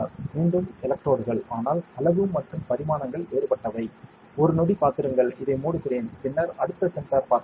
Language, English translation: Tamil, Now, another sensor that we can have is again electrodes, but the size and dimensions are different, just wait a second, let me close this up and then we can see the next sensor